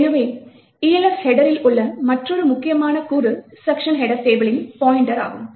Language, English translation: Tamil, So, another important component in the Elf header is this pointer to the section header table